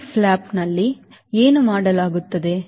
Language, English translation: Kannada, what is done in the split flap